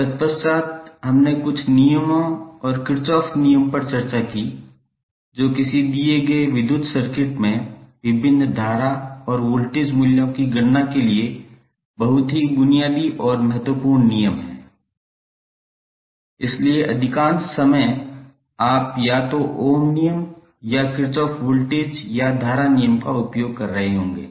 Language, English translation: Hindi, Thereafter we discuss some law and Kirchhoff law which are the very basic and very important laws for the calculation of various current and voltage values in a given electrical circuit, so most of the time you would be using either ohms law or the Kirchhoff voltage or current law in your circuit analysis